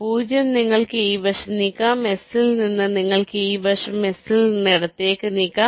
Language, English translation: Malayalam, you can move this side from s you can move to the left